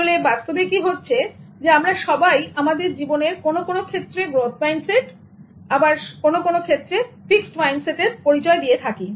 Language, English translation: Bengali, What actually happens in reality is that we all have growth mindsets in certain aspects of our lives and we all also have fixed mindsets in certain other aspects